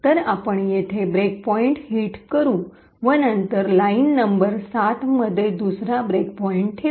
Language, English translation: Marathi, So, we would hit the break point over here and then we would put another break point in line number 7